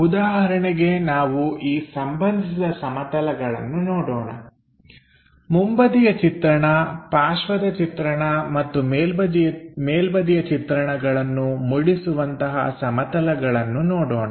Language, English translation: Kannada, For example, let us look at these reference planes like, front view, side view and top view kind of things